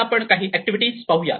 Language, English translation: Marathi, Now, let us say a few activities